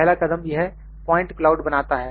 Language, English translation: Hindi, The first step is the point cloud